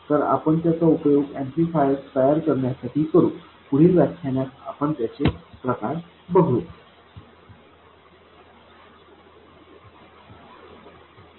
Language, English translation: Marathi, So, we will use this to make amplifiers, we will see variants of this in the following lectures